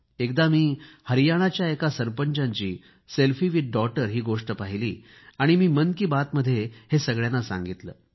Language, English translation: Marathi, Once, I saw a selfie of a sarpanch with a daughter and referred to the same in Mann Ki Baat